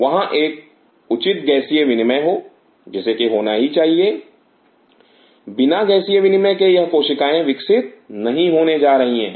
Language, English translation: Hindi, There has to be a proper Gaseous exchange which should take place, without the Gaseous exchange these cells are not going to grow